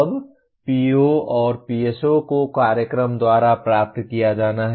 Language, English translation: Hindi, Now POs and PSOs are to be attained by the program